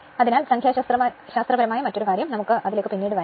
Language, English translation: Malayalam, So, another thing numerical, we will come later